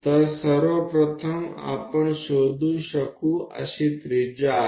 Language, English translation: Marathi, So, first of all this is the radius what we can locate